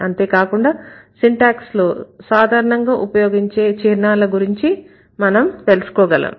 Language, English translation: Telugu, And then we got to know these are the symbols generally used in syntax